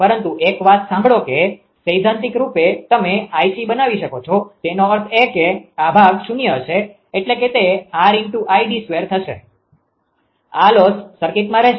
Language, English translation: Gujarati, But listen one thing that theoretically you can make i q is equal to i c; that means, this part will be 0; that means, R into I d square; this loss will remain in the circuit